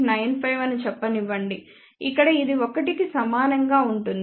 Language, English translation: Telugu, 95 here of course, it will be equal to 1